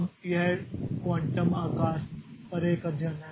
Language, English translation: Hindi, Now, this is a study on the quantum size